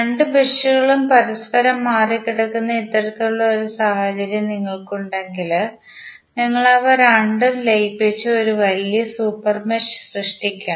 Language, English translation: Malayalam, If you have this kind of scenario where two meshes are crossing each other we have to merge both of them and create a larger super mesh